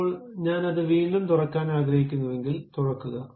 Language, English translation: Malayalam, Now, if I would like to reopen that, open that